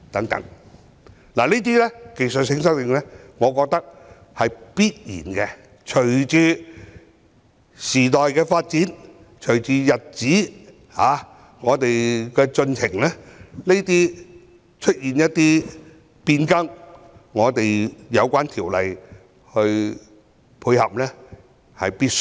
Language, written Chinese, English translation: Cantonese, 我覺得這些技術性修訂是必要的，隨着時代發展、日子的推進，對有關條例作出變更來配合是必需的。, I find the technical amendments necessary to keep abreast of the times . With the passage of time it is necessary to amend the relevant legislation to take into account new developments